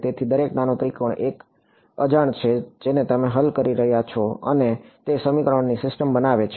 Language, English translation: Gujarati, So, every little little triangle is an unknown that you are solving for and that forms the system of equations